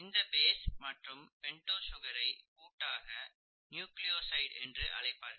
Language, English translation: Tamil, The combination of the base and the pentose sugar is actually called a nucleoside